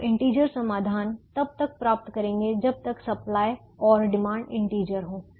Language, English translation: Hindi, so we will get integer solutions as long as the supplies and demands are integers